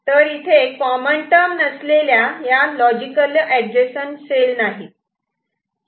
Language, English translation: Marathi, So, there is no logically adjacent cells which is not having a common term